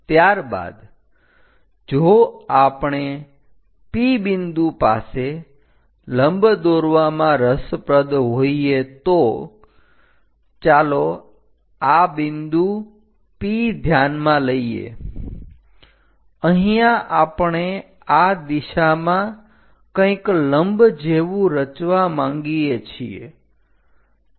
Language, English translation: Gujarati, After that if we are interested in drawing a normal at a point P, let us consider this is the point P; here we would like to construct something like a normal in that direction